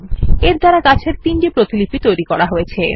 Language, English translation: Bengali, This will create three copies of the trees